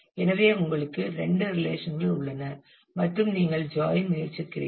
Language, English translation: Tamil, So, you have two relations and you are trying to do a join